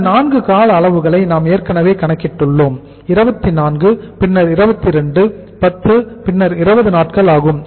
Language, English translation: Tamil, These are the 4 durations and we have already calculated these durations 24 then is 22 then it is 10 then it is 20 days